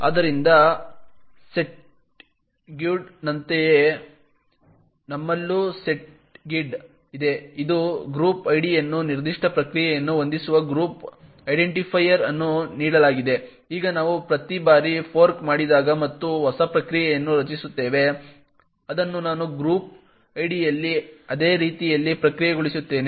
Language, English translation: Kannada, So similar to the setuid we also have a setgid, given a group identifier which sets the group id that particular process, now every time we fork and create a new process, which I will process would in the group id in a very similar way as it inherits the uid of its parent process